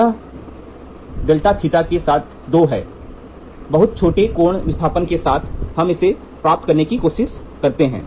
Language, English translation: Hindi, It is two time into del theta the del theta is very small angle displacement we try to get this